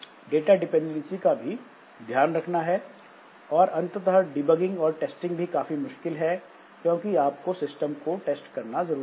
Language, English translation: Hindi, And finally, the testing and debugging becomes difficult because you need to test the system